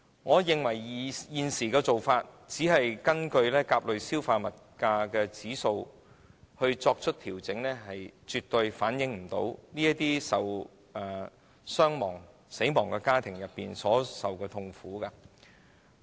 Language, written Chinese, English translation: Cantonese, 我認為，現時根據甲類消費物價指數作出調整的做法，絕對無法反映死者家庭所受的痛苦。, In my view the current arrangement of making adjustment based on CPIA is definitely unable to reflect the agony of bereaved families . Members should know this